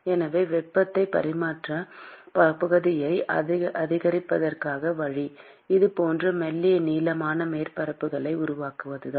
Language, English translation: Tamil, So, the way to increase the heat transfer area is you create a thin protruding surfaces like this